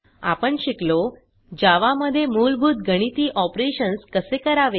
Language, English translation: Marathi, we have learnt How to perform basic mathematical operations in Java